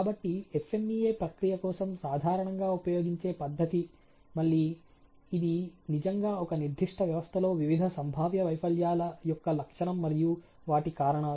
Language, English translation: Telugu, So, the methodology that is typically used for the process FMEA is to again, you know the philosophy is really the characterization of various potential failures, and its causes of a particular system ok